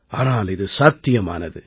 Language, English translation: Tamil, This is just impossible